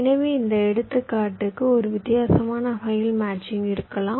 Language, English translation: Tamil, so, for this example, there can be a so much different kind of matchings